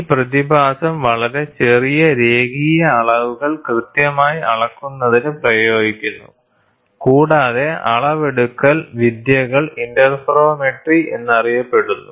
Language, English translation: Malayalam, This phenomenon is applied to carry out precise measurement of very small linear dimensions and the measurement techniques are popularly known as interferometry